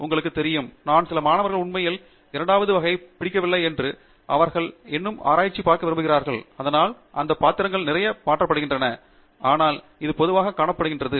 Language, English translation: Tamil, You know, I think some students, in fact, do not like the second type also; they would like to explore more, so that roles change a lot, but once… but that is usually common